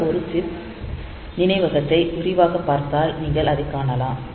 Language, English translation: Tamil, So, if we look into this one chip memory in more detail